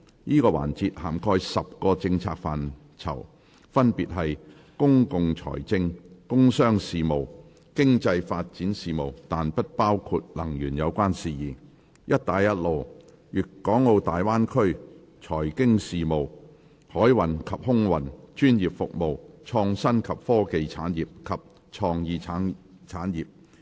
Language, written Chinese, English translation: Cantonese, 這個環節涵蓋10個政策範疇，分別是：公共財政；工商事務；經濟發展事務，但不包括能源有關事宜；"一帶一路"；粵港澳大灣區；財經事務；海運及空運；專業服務；創新及科技產業；及創意產業。, This session covers the following 10 policy areas Public Finance; Commerce and Industry; Economic Development ; Belt and Road; Guangdong - Hong Kong - Macao Bay Area; Financial Affairs; Maritime and Aviation; Professional Services; Innovation and Technology Industries; and Creative Industries